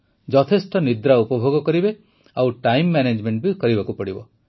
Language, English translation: Odia, Get adequate sleep and be mindful of time management